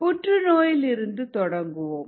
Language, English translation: Tamil, start with cancer